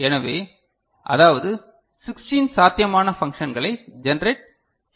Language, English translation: Tamil, So, that is 16 possible functions are possible to be generated ok